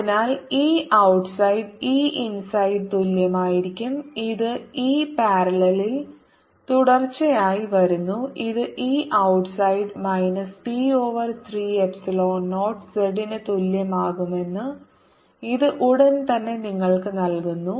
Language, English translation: Malayalam, so e outside is going to be same as e inside, and this comes from e parallel is continuous and this immediately gives you that e outside is also going to be equal to minus p, zero over three, epsilon zero z